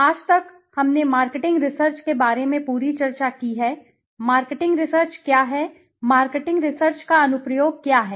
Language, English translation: Hindi, Till date, we have discussed about marketing research as a whole, what is marketing research, what is the application of marketing research